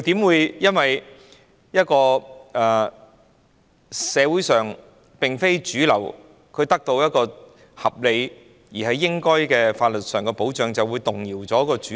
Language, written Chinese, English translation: Cantonese, 怎可能因社會上非主流人士得到合理、應有的法律保障權利而動搖主流？, How would it be possible for the mainstream to be shaken because non - mainstream people in society have obtained reasonable and due rights to legal protection?